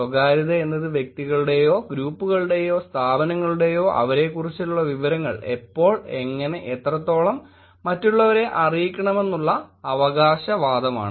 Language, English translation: Malayalam, “Privacy is the claim of individuals, groups or institutions to determine themselves when, how and what extent information about them is communicated to others